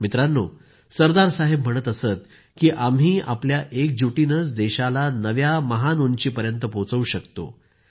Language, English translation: Marathi, Sardar Sahab used to say "We can take our country to loftier heights only through our united efforts